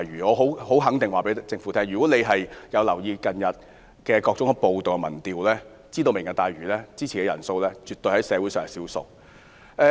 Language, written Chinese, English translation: Cantonese, 我很肯定告訴政府，如果政府有留意近日的各項民調，便應知道支持"明日大嶼"的人絕對是社會上的少數。, I can certainly tell the Government that if it has paid attention to the recent opinion polls it should know that those who support Lantau Tomorrow are absolutely in the minority in society